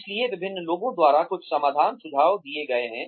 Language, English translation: Hindi, So, some solutions have been suggested, by various people